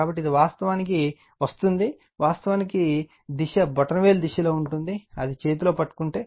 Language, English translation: Telugu, So, it is actually coming it is actually direction will be like your in the direction of the thumb, if you grabs it right hand